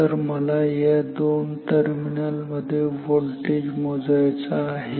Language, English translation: Marathi, So, I want to measure the voltage between these two terminals